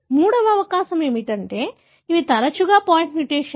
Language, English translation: Telugu, The third possibility is that often these are point mutations